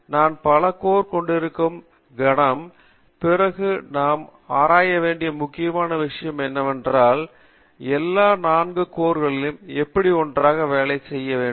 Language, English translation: Tamil, The moment I have multi core, then one of the important thing that we need to research upon is, how do I make all the 4 cores work together